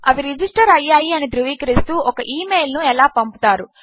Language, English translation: Telugu, How do you send them an email confirming that they have registered